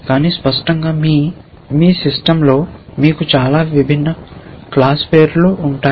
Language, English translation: Telugu, But obviously, you will have many different class names in your system